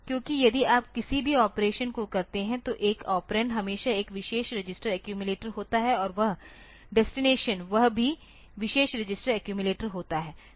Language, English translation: Hindi, Because if you do any operation one of the operand is the one of the operand is always that that special register accumulated and that destination is also that special register accumulated